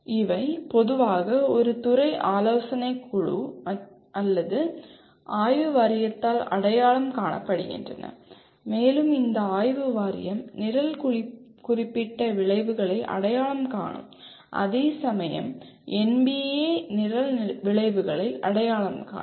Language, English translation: Tamil, And these are generally are identified by a department advisory board or a Board of Studies and this Board of Studies identifies the Program Specific Outcomes and whereas NBA has identifies the Program Outcomes